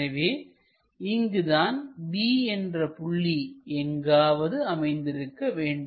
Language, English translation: Tamil, So, the C point is somewhere there